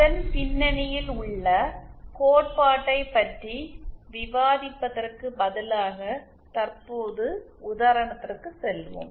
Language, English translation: Tamil, So, let us instead of discussing the theory behind it, let us currently go to the example